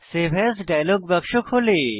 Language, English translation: Bengali, The Save As dialog box opens up